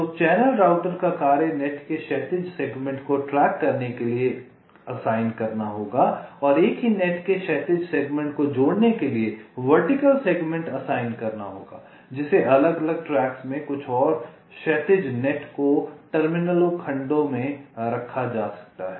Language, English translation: Hindi, so the task of the channel router will be to assign the horizontal segments of net to tracks and assign vertical segments to connect the horizontal segments of the same net, which which maybe placed in different tracks, and the net terminals to some of the horizontal net segments